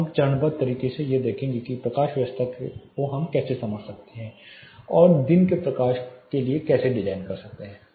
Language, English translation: Hindi, Now, let us to take a step by step look at how day lighting is you know can be understood and how we can design for day lighting